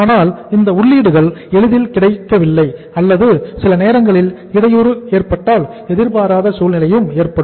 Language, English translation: Tamil, But if these inputs are not easily available or sometimes there is a disruption, there is a unforeseen situation